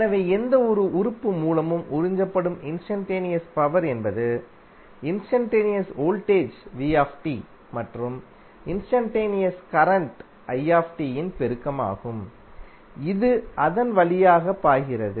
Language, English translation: Tamil, So instantaneous power P absorbed by any element is the product of instantaneous voltage V and the instantaneous current I, which is flowing through it